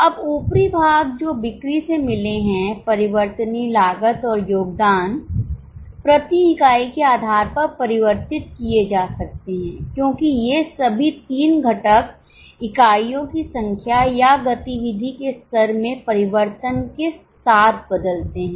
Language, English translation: Hindi, Now the upper part that is from sales variable cost and contribution can be converted on per unit basis because all these three components change as the number of units or the level of activity changes